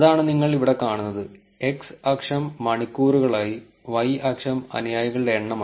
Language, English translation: Malayalam, That is what you will see here, x axis to be the hours, y axis to be the number of followers